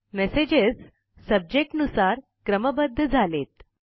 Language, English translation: Marathi, The messages are sorted by Subject now